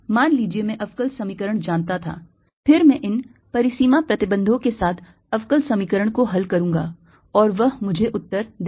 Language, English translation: Hindi, then i would solve the differential equation with these boundary conditions and that'll give me the answer